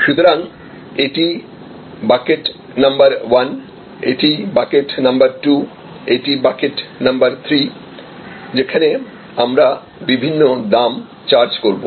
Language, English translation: Bengali, So, this is bucket number 1, this is bucket number 2, this is bucket number 3, where we will be charging different prices